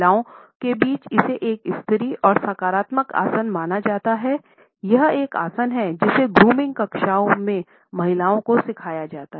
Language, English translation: Hindi, Amongst women it is considered to be a feminine and positive posture; this is a posture which women in the grooming classes are taught to opt for